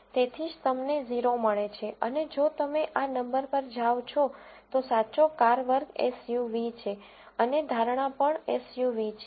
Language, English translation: Gujarati, So, that is why you get a 0 and if you go to this number, the true car class is SUV and the prediction is also SUV